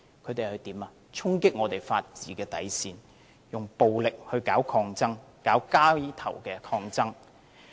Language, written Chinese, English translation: Cantonese, 他們衝擊法治的底線，以暴力搞抗爭、搞街頭抗爭。, They attack the bottom line of the rule of law and engage in resistance by violent means and street protests